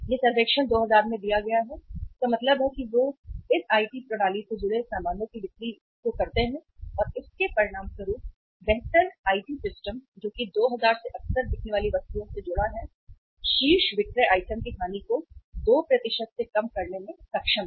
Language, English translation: Hindi, It is given in the survey 2000 means largely selling items they connected to this IT system and as a result of that improved IT systems which is linked to the 2000 frequently selling items, top selling items uh they have been able to reduce the loss of sail by 2%